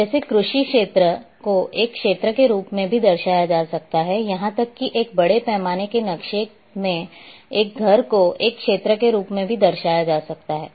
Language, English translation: Hindi, Like agriculture field can also be represented as an area, even a house in a larger scale map can be represented as an area